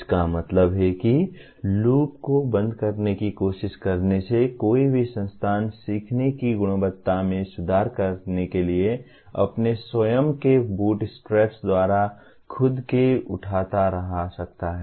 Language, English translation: Hindi, That means by trying to close the loop, any institution can keep on lifting itself by its own boot straps to continuously improve the quality of learning